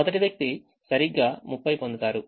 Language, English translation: Telugu, the first person gets exactly thirty, remember